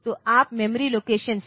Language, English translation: Hindi, So, you can from memory location